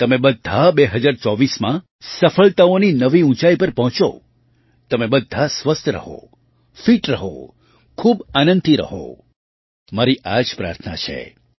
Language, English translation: Gujarati, May you all reach new heights of success in 2024, may you all stay healthy, stay fit, stay immensely happy this is my prayer